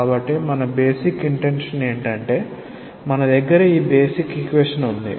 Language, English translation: Telugu, So, our basic intention will be that we have this basic equation